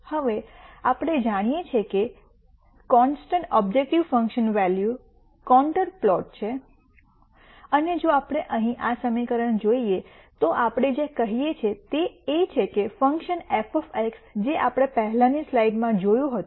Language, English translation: Gujarati, Now, we know that the constant objective function values are contour plots and if we look at this equation here what we are saying is that the function f of X which we saw from the previous slide